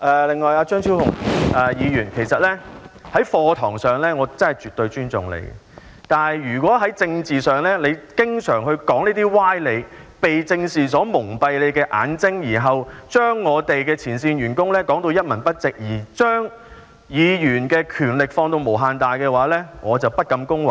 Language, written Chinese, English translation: Cantonese, 另一方面，其實在課堂上，我真的絕對尊重張超雄議員，但在政治上，如果他經常說出這些歪理，被政治蒙蔽他的眼睛，然後將前線員工說到一文不值，並將議員的權力放到無限大，我則不敢恭維。, On the other hand in fact I absolutely respect Dr Fernando CHEUNG in class . However on the political front I find it off - putting if he often resorts to such sophistry being blinded by politics belittles the frontline staff and then exaggerates the power of the Members without bounds